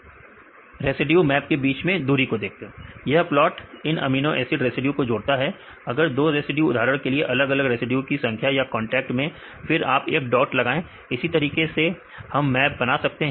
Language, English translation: Hindi, distance between resdiues Yeah this is the plot connecting these amino acid residues right if these 2 residues for example, the different residue numbers or in contacts then you put a dot right likewise we can construct a map right